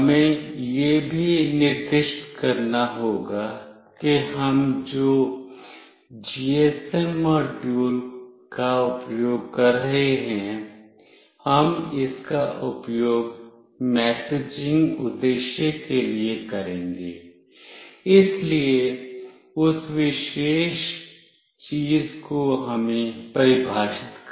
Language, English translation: Hindi, We have to also specify that the GSM module that we are using, we will be using it for messaging purpose, so that particular thing we have to define it